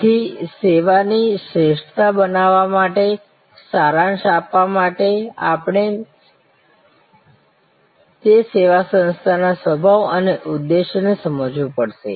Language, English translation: Gujarati, So, to summarize to create service excellence we have to understand the nature and objective of that service organization